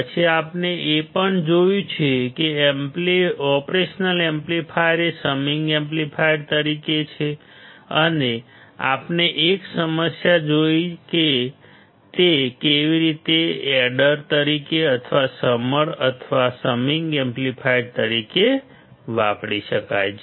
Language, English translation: Gujarati, Then we have also seen, the operational amplifier as a summing amplifier and we have seen a problem, how it can be used as a adder or as a summer or the summing amplifier